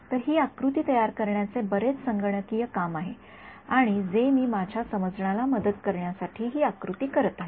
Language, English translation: Marathi, So, it's a lot of computational work to produce this diagram I am doing this diagram to aid my understanding This is